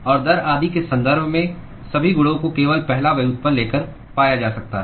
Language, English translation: Hindi, And all the properties in terms of rate etc can be simply found by taking the first derivative